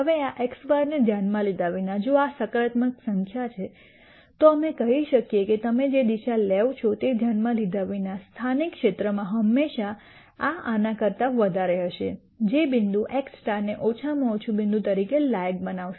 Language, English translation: Gujarati, Now, irrespective of this x bar, if this is a positive number then we can say irrespective of whatever direction you take this will always be greater than this in the local region which would qualify this point x star as a minimum point